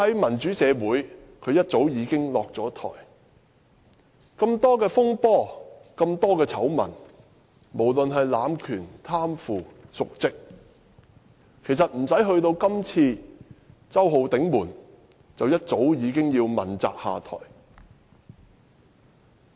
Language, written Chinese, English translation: Cantonese, 梁振英涉及那麼多風波、醜聞，無論是濫權、貪腐、瀆職，其實不用等到這次"周浩鼎門"，便一早已經要問責下台。, Even without the present Holden Gate incident LEUNG Chun - ying should have stepped down long ago for accepting accountability as he has been involved in so many controversies and scandals ranging from power abuse to corruption and dereliction of duty